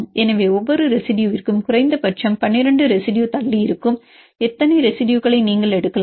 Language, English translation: Tamil, So, for each residue you can take how many residues which are far apart at least 12 residues